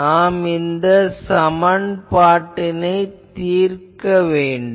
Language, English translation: Tamil, So, we will have to solve this equation